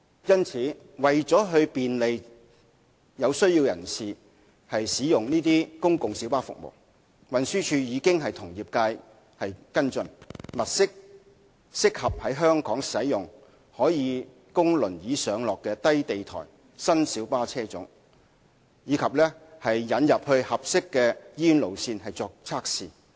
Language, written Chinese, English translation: Cantonese, 因此，為了便利有需要人士使用公共小巴服務，運輸署已經與業界跟進，物色適合在香港使用、可供輪椅上落的低地台新小巴車種，並將之引進合適的醫院路線作為測試。, Hence in order to facilitate access to PLB services by persons in need TD has been working with the trade to follow up on identifying new low - floor wheelchair - accessible PLB models suitable for use in Hong Kong and introducing them for trial runs at suitable hospital routes